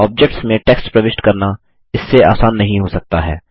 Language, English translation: Hindi, Entering text in objects cannot get simpler than this